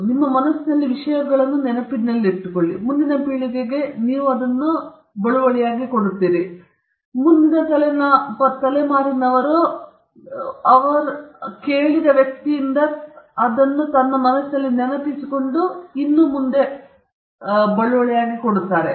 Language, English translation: Kannada, You remember things in your mind, and you pass it on to the next generation, and the next generation or the person who hears from you he or she remembers in her mind, memorizes it, and passes it on